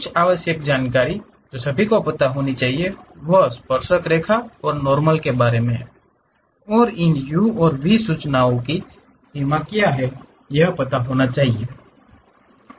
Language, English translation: Hindi, Some of the essential information what one should really know is about tangent and normals, and what is the range these u and v information one will be having